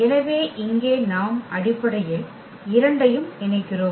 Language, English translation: Tamil, So, here we are combining basically the two